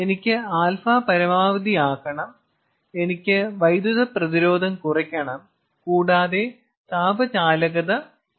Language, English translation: Malayalam, i have to maximize alpha, i have to minimize electrical resistance, but i have to minimize thermal conductance also